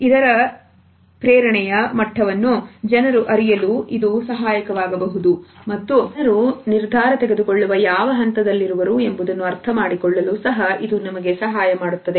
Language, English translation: Kannada, It can be helpful in learning the motivation level of other people and it can also help us to understand what is the stage of decision making